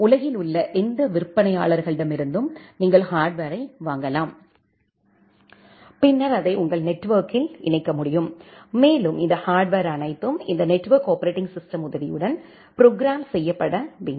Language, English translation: Tamil, You can purchase the hardwares from any vendors in the world and then you can connect it in your network and all these hardwares should be programmable with the help of this network operating system